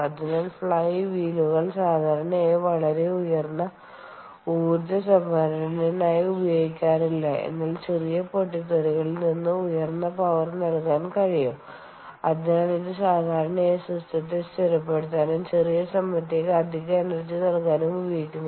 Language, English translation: Malayalam, all right, so the flywheels typically are not used for very high ah amount of energy storage, but it can supply high power in short bursts and therefore it is typically used to stabilize the system ah, um and and supply that additional burst of energy for a small period of time